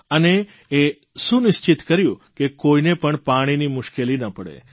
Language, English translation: Gujarati, He ensured that not a single person would face a problem on account of water